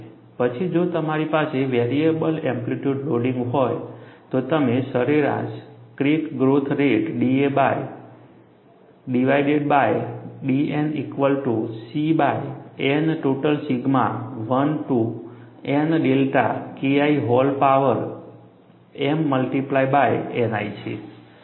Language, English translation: Gujarati, Then, if we have a variable amplitude loading, you can calculate average crack growth rate d a bar divided by d N equal to C by N total sigma 1 to n delta K i whole power m multiplied by N i